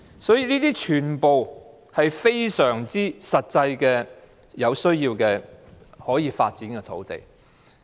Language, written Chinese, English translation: Cantonese, 因此，這些全部都是實際上可以發展的土地。, So all these sites can actually be made available for development